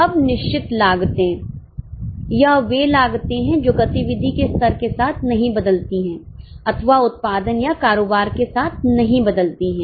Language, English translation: Hindi, These are the costs which do not change with level of activity or do not change with output or with the turnover